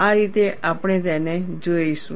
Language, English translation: Gujarati, This is the way we will look at it